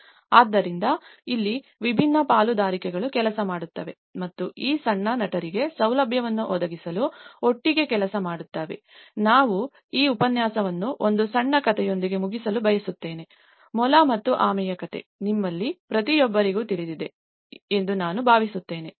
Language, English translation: Kannada, So, this is where different partnerships work and work actually together to provide facility for these small actors like I would like to conclude this lecture with a small story, I think every one of you know, the hare and tortoise story